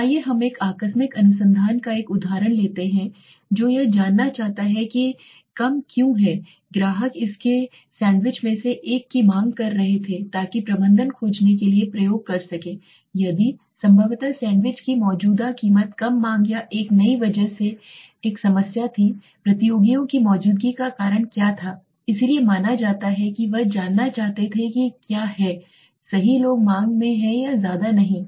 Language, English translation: Hindi, Let us take an example of a casual research would be a restaurant wanting to find out why fewer customers were demanding one of its sandwiches so the management might experiment to find out if possibly the sandwich current price was a problem because of the fewer demands or a new competitors presence what was the cause so what is the cause to suppose he wants to know what is the right people are in the demand is not much